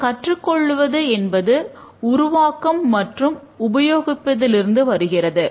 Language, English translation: Tamil, Learning comes from both development and use of the system